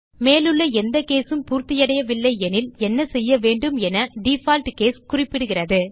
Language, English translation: Tamil, Default case specifies what needs to be done if none of the above cases are satisfied